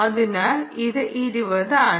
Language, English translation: Malayalam, so it's a twenty